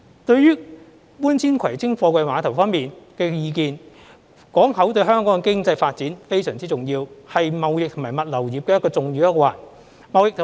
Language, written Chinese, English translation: Cantonese, 對於搬遷葵青貨櫃碼頭方面的意見，港口對香港經濟發展非常重要，是貿易及物流業的重要一環。, Concerning the views on relocating the Kwai Tsing Container Terminals ports are very important for Hong Kongs economic development and form an integral part of the trading and logistics industry